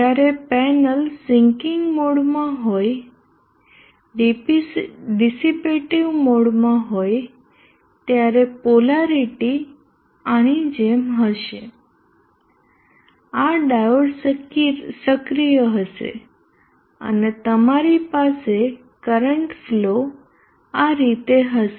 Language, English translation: Gujarati, When the panel is in the sinking mode dissipative mode, the polarity will be like, this diode will be active and you will have the current flow like that